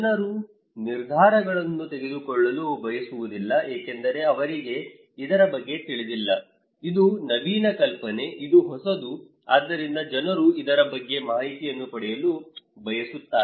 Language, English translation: Kannada, People do not want to make decisions because they do not know about this one, this is an innovative idea, this is the new, so people want to get information about this one